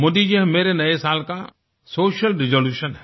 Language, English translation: Hindi, Modi ji, this is my social resolution for this new year